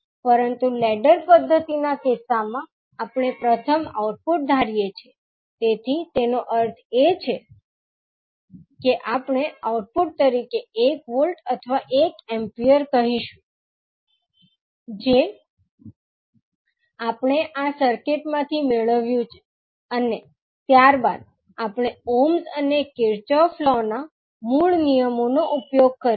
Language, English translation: Gujarati, But in case of ladder method we first assume output, so it means that we will assume say one volt or one ampere as an output, which we have got from this circuit and then we use the basic laws of ohms and Kirchhoff’s law